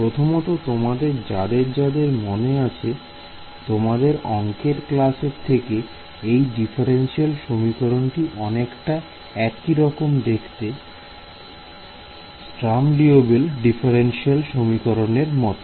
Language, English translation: Bengali, So, first of all those of you who remember from your math courses, this differential equation looks very similar to the Sturm Liouville differential equation if you remember it